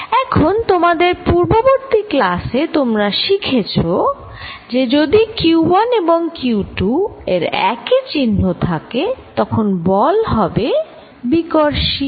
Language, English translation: Bengali, Now, you learnt in your previous classes that, if q 1 and q 2 are of the same sign, then the force is repulsive